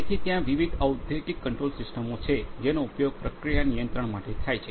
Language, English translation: Gujarati, So, there are different industrial control systems that are used for process control